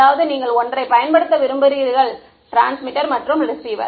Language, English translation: Tamil, That means, you just want to use one transmitter and receiver